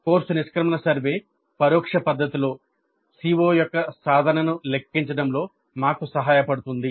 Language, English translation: Telugu, So the course exit survey would help us in computing the attainment of CO in an indirect fashion